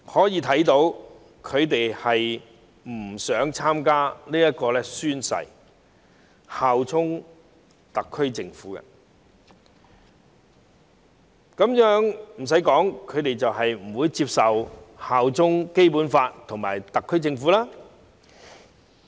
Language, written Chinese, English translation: Cantonese, 由此可見，他們不想宣誓效忠特區政府；不用我多說，他們是不會接受效忠《基本法》和特區政府的。, From this we can see that they do not want to swear allegiance to the SAR Government . Needless to say they will not accept to pledge allegiance to the Basic Law and the SAR Government